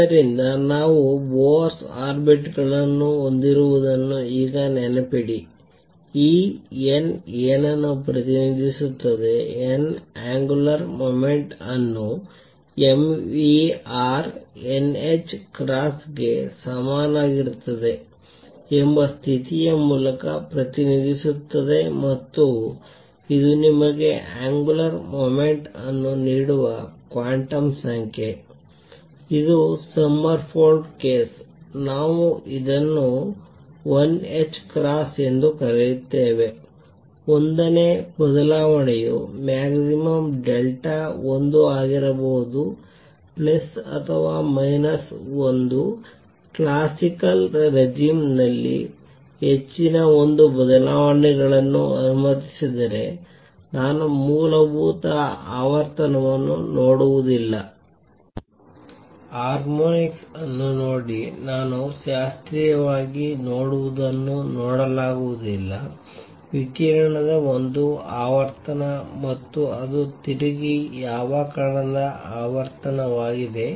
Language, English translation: Kannada, And therefore now remember when we have Bohr orbits, what does this n represents; n represents the angular momentum through the condition that mvr is equal to n h cross and this implies that this n that quantum number that gives you the angular momentum which is Sommerfeld case, we called l h cross the change of l can be maximum delta l can be plus or minus 1, if higher l changes were allowed in the classical regime, I would not see the fundamental frequency out, see harmonics which are not seen what I see classically is the only one frequency of radiation and that is the frequency at which particle is rotating